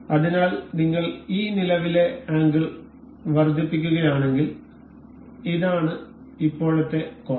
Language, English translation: Malayalam, So, if we increase this current angle this is present angle